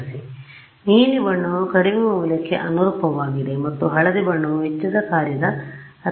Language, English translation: Kannada, So, dark blue color corresponds to lowest value and yellow colour corresponds to highest value of cost function ok